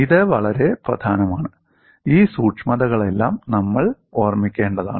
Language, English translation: Malayalam, This is very important, all these certainties we will have to keep in mind